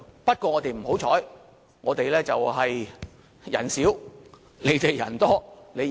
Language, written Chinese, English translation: Cantonese, 不過，我們較不幸，我們人少，你們人多，一定贏。, Nonetheless we are less fortunate . You will surely win because we are the minority and you are the majority